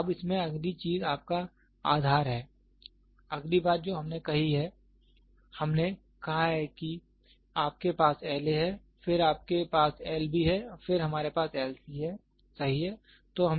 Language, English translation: Hindi, Now the next thing in this is your base next thing that we have said we have said that, you have L A, then you we have L B, then we have L C, right